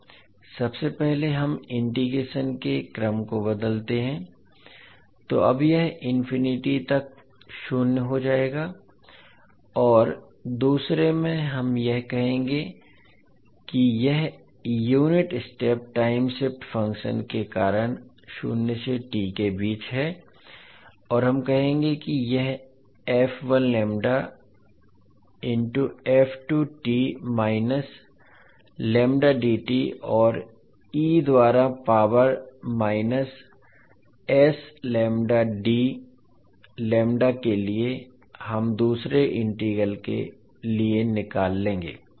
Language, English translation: Hindi, First we interchange the order of integration so now it will become zero to infinity and in the second integral we will say that it is ranging between zero to t because of the unit step time shift function and we will say that it is f1 lambda into by f2 t minus lambda dt and e to the power minus s lambda d lambda we will take out for the second integral